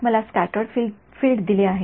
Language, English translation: Marathi, I am given the scattered field